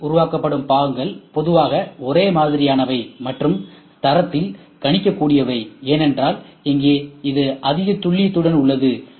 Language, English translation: Tamil, Whereas, CNC parts will normally be more homogeneous and predictable in quality, because here it is high accuracy